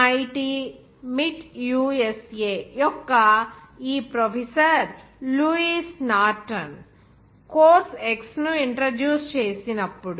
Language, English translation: Telugu, When this professor Lewis Norton of the MIT USA introduced course X